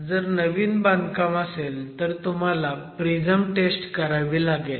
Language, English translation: Marathi, For a new construction you would make a standard prism